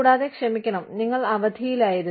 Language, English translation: Malayalam, And, i am sorry, you were on leave